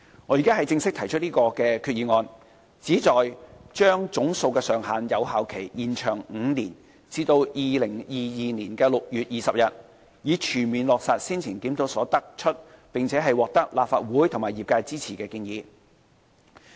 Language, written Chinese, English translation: Cantonese, 我現在正式提出議案，旨在將總數上限的有效期延長5年至2022年6月20日，以全面落實先前檢討所得出、並獲立法會和業界支持的建議。, The resolution I am moving is for extending the effective period of the cap by five years until 20 June 2022 . This will bring the recommendation of the earlier review which has been supported by the Legislative Council and the trade into full implementation